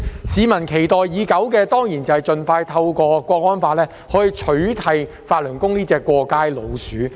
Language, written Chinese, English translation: Cantonese, 市民期待已久的，當然是盡快透過《香港國安法》取締法輪功這隻"過街老鼠"。, The public have been looking forward to outlawing this scum of society ie . Falun Gong through the National Security Law as soon as possible